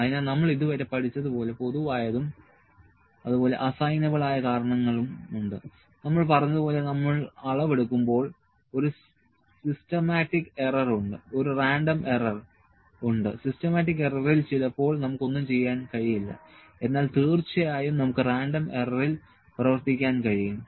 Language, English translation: Malayalam, So, as we have learned so far that there are common and assignable causes, when we do measurement as we said, there is a systematic error, there is a random error, systematic error sometimes we cannot work on, but yes we have working on the random error